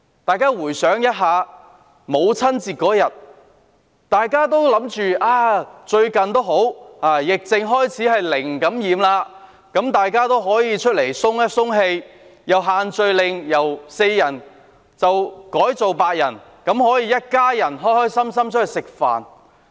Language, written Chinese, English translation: Cantonese, 大家回想一下，母親節當天，大家以為最近疫症開始紓緩，本地"零感染"，可以出來透一透氣，而且限聚令由4人改為8人，一家人可以開開心心外出吃飯。, Let us look back at Mothers Day . We thought as the epidemic had started to ease off recently with zero local infection we could go out to take a break . Moreover the maximum number of people allowed under the social gathering restrictions had been revised from four to eight